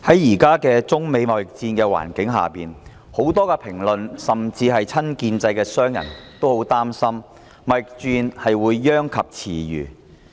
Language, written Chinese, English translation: Cantonese, 現時在中美貿易戰的環境下，很多評論甚至親建制的商人也很擔心貿易戰會殃及池魚。, Against the backdrop of the trade war between China and the United States presently many commentaries or even pro - establishment businessmen have expressed worries about the collateral damage of the trade war